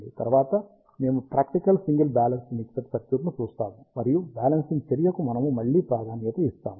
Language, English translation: Telugu, Next, we will see a practical single balanced mixer circuit, and we will again emphasis on the balancing action